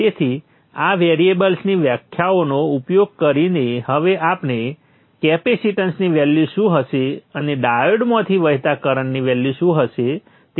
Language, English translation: Gujarati, So using these variables definition we shall now calculate what should be the value of the capacitance and also what should be the value of the currents that should flow through the diodes and such